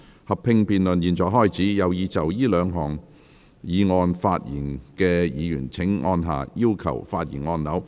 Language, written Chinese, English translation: Cantonese, 合併辯論現在開始，有意就這兩項議案發言的議員請按下"要求發言"按鈕。, The joint debate now begins . Members who wish to speak on the two motions will please press the Request to speak button